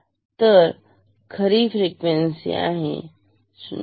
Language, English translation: Marathi, So, true frequency is; so this is 0